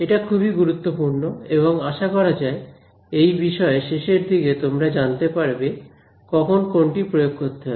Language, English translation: Bengali, This is really very important and hopefully at the end of this course, you will know which method to apply when